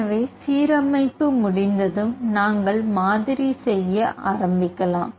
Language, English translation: Tamil, So, once the alignment is completed we can start doing with the model building